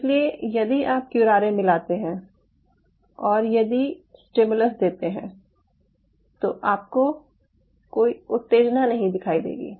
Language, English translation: Hindi, so if you add curare and if you given stimulus, you you can have any stimulus, but you wont see any signal out here